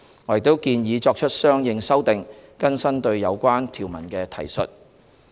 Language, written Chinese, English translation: Cantonese, 我們亦建議作出相應修訂，更新對有關條文的提述。, Consequential amendments are also proposed to be made to update the references to the relevant provisions